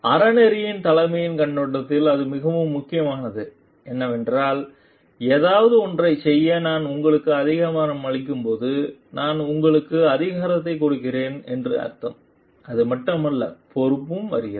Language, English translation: Tamil, And it is very very important from the perspective of ethical leadership is when I empower you to do something it is also it means I give you power I give you authority alongside of that comes also the responsibility and accountability